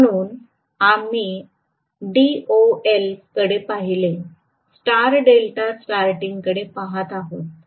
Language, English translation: Marathi, So we looked at DOL, we looked at star delta starting